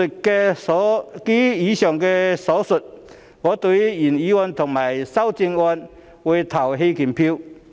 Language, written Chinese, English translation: Cantonese, 基於以上所述，我會對原議案及修正案投棄權票。, In view of the above I will abstain from voting on the original motion and the amendment